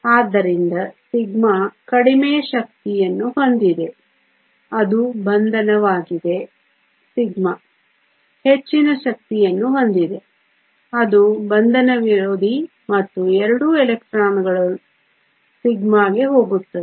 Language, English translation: Kannada, So, sigma has a lower energy which is the bonding sigma star has a higher energy that is anti bonding and both electrons go into sigma